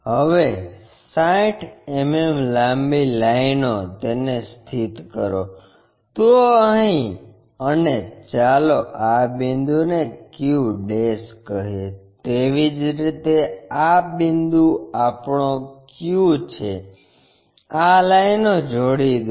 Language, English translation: Gujarati, Now, 60 mm long lines locate it; so here, and let us call this point as q'; similarly this point is our q, join these lines